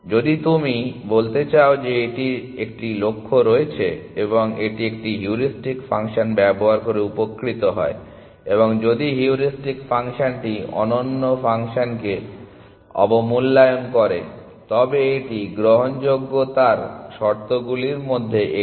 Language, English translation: Bengali, If you want to say it has a goal in mind and therefore, it benefits from the use of a heuristic function, and if the heuristic function is underestimating function then that is one of the conditions for admissibility